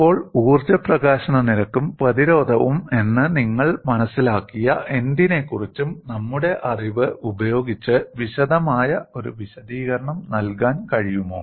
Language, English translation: Malayalam, Now, with our knowledge of whatever you have understood as energy release rate and resistance, is it possible to give a plausible explanation